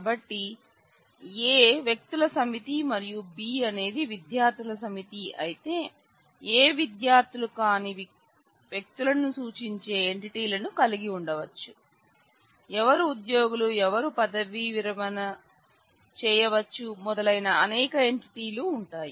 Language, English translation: Telugu, So, if A is set of persons and B is a set of students then A may have entities who which represent people who are not students; who are employees, who could be retired and so, on, but there will be a number of entities